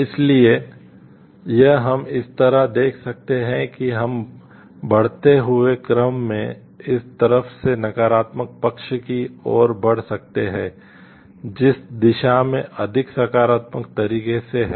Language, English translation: Hindi, So, this we can see like these we can place in the like in increasing order from this side to a negative side to the way towards which is in a more positive way